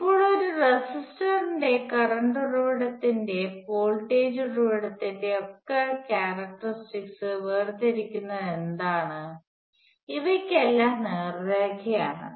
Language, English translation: Malayalam, Now what distinguishes the characteristics of a resistor, a current source and voltage source, all of which as straight lines